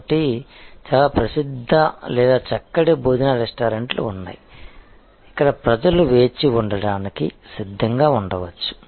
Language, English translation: Telugu, So, there are some very famous or fine dining restaurants, where people may be prepared to wait